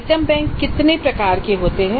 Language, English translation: Hindi, What are the types of item banks